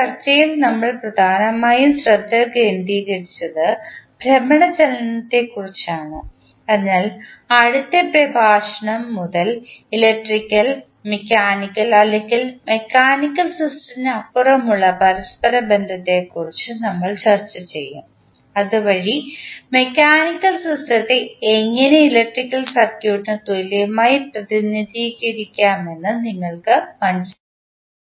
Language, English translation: Malayalam, In this discussion we mainly focussed about the rotational motion, so from next lecture onwards we will discuss about the correlation between electrical and the mechanical or other than the mechanical system so that you can understand how the mechanical system can be equivalently represented with the help of electrical circuit